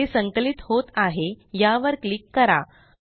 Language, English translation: Marathi, Now it compiles.Let us click this